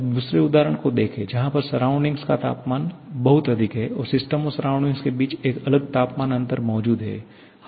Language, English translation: Hindi, Now, look at the second example where the surroundings at a much higher temperature, there is a distinct temperature difference existing between system and surrounding